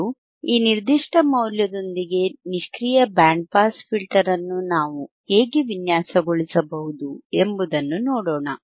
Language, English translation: Kannada, And let us solve how we can design and a passive band pass filter with this particular value